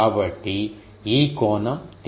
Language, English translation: Telugu, So, this angle is theta